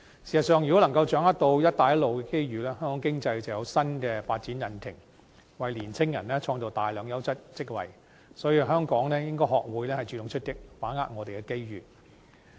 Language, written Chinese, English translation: Cantonese, 事實上，如果能夠好好掌握"一帶一路"的機遇，香港經濟便有新的發展引擎，亦為青年人創造大量優質職位，所以香港應該學會主動出擊，把握我們的機遇。, In fact if we can capitalize on the opportunities arising from the Belt and Road Initiative the Hong Kong economy will have a new development engine and many quality jobs will be created for young people . For this reason Hong Kong should learn to adopt proactive approaches and grasp our opportunities